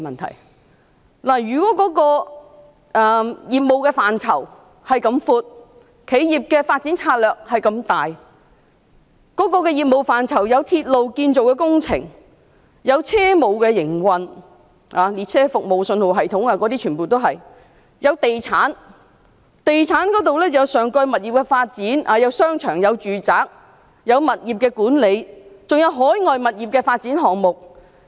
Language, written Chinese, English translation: Cantonese, 港鐵公司的業務範疇很闊，企業的發展策略也很廣，其業務範疇包括鐵路建造工程、車務營運、列車服務、信號系統，亦包括地產方面，例如上蓋物業的發展、商場和住宅物業管理，還有海外物業的發展項目。, MTRCL has a wide scope of businesses . It also has an extensive corporate development strategy . Its scope of business covers the construction of railway projects railway operations train services signalling system property businesses including property development projects above railway stations management of shopping malls and residential properties as well as overseas property development projects